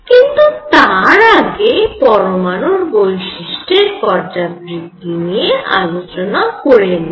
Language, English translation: Bengali, But let us see now for the periodicity of properties of atoms